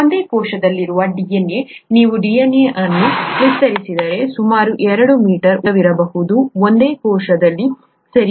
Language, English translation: Kannada, The DNA in a single cell, if you stretch out the DNA, can be about 2 metres long, right